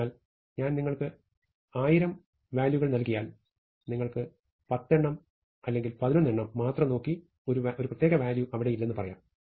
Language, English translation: Malayalam, So, if I give you 1000 values, we can look at 10 or maybe 11 and say that something is not there